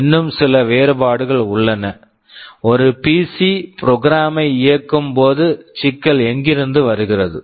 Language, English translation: Tamil, There are still some differences; when a PC executes the program, from where does the problem come from